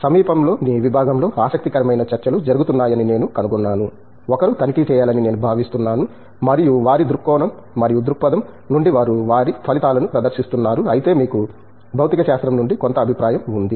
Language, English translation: Telugu, I do find interesting talks happening in the nearby department, I think one should check out and from their point of view and perspective they are presenting their results, whereas you have some view from physics